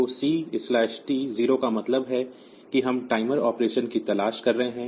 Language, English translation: Hindi, So, C/T is 0 means we are looking for the timer operation